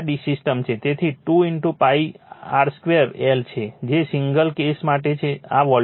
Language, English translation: Gujarati, So, 2 into pi r square l right that is for the single phase case, this is the volume